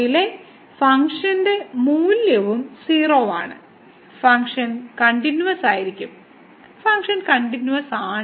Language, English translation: Malayalam, And the function value at is also 0, so the function is continuous; function is continuous